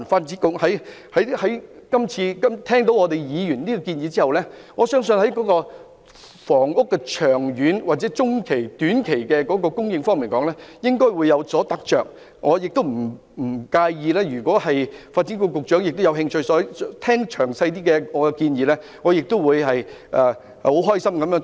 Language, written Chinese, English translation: Cantonese, 這次聽過議員的建議後，我相信在房屋的長、中、短期的供應方面，發展局應該也有所得着，如果發展局局長有興趣聆聽我的詳細建議，我亦樂意與他交流意見。, At hearing the proposals put forth by Members this time around I believe the Development Bureau should have gained some insights in the supply of housing in the long medium and short term . If the Secretary for Development is interested in listening to the details of my proposal I am willing to exchange ideas with him